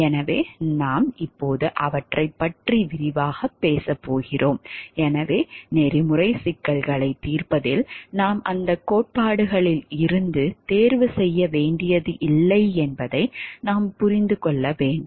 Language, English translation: Tamil, So, we are going to discuss those now in details, so what we having to understand that in solving ethical problems we do not have to choose from among those the theories